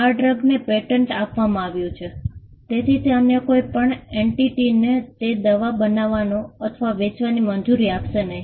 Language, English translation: Gujarati, The fact that the drug is patented will not allow any other entity to manufacture or to sell that drug